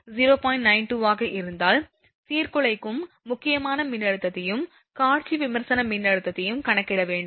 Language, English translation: Tamil, 92, you have to calculate the disruptive critical voltage and visual critical voltage all right, this is the thing